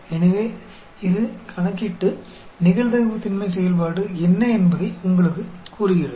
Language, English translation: Tamil, So, it calculates and lets you know what is the probability density function